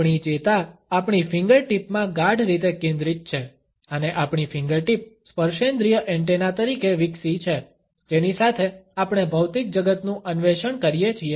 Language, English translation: Gujarati, Our nerve endings are densely concentrated in our fingertips, and our fingertips have evolved as tactile antennae with which we explore the material world